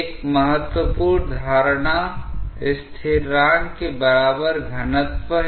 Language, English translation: Hindi, One important assumption is density equal to constant